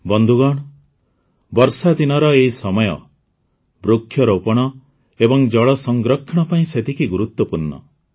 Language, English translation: Odia, Friends, this phase of rain is equally important for 'tree plantation' and 'water conservation'